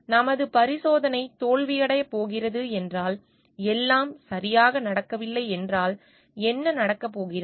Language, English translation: Tamil, If our experiment is going to fail, if everything is not going to work properly, then what is going to happen